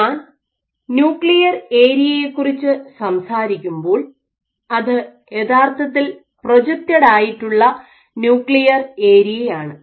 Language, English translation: Malayalam, So, when I talk about nuclear area it is actually the projected nuclear area